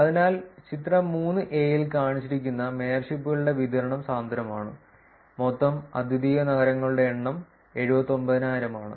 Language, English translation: Malayalam, So, the distribution of mayorships shown in figure 3 is denser with a total number of unique cities being 79,000